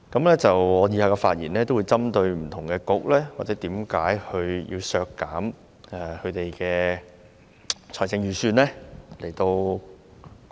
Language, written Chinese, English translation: Cantonese, 我以下的發言會針對不同的政策局，以解釋為甚麼要削減其預算開支。, In my following speech I will speak on various Policy Bureaux in order to explain why a reduction of their estimated expenditures is warranted